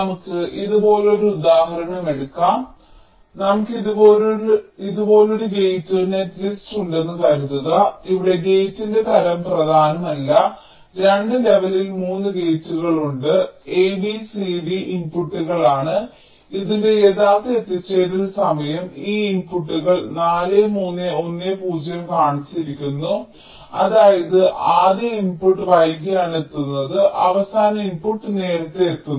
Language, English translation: Malayalam, take next, take an example like this: suppose means we have a gate netlist like this here, the type of this, not important, just there are three gates in two levels: a, b, c, d are the inputs and the actual arrival time of this, of this inputs are shown: four, three, one zero, which means the first input is arriving late, the last input is arriving earliest